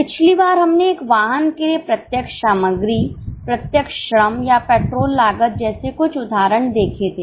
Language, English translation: Hindi, Last time we had seen some examples like direct material, direct labor or petrol cost for a vehicle